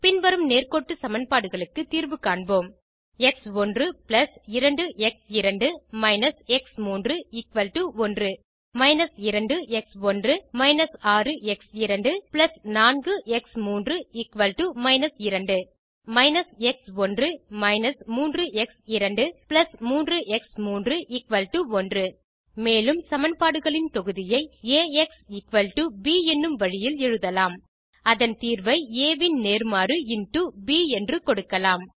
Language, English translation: Tamil, Let us solve the following set of linear equations: x1 + 2 x2 − x3 = 1 −2 x1 − 6 x2 + 4 x3 = −2 and − x1 − 3 x2 + 3 x3 = 1 The above set of equations can be written in the Ax = b form